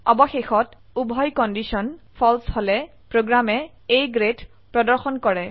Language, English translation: Assamese, So Finally, if both the conditions are False, the program displays A Grade